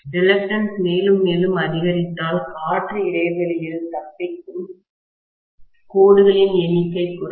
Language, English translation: Tamil, If the reluctance increases further and further, the number of lines that are escaping into the air gap will decrease